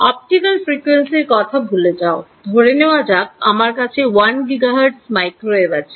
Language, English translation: Bengali, Forget optical frequency let us say you have at microwave 1 gigahertz, 1 gigahertz is 10 to the 9 right